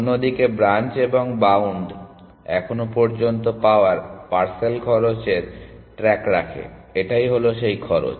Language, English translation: Bengali, Branch and bound on the other hand keeps track of the parcel cost found so far, which are these cost